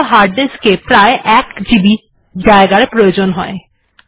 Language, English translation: Bengali, This calls for hard disk space for about 1 GB